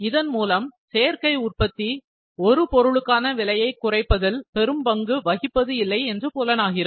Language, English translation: Tamil, So, additive manufacturing does not play a great role in reducing the cost per unit